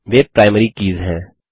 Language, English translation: Hindi, They are the Primary Keys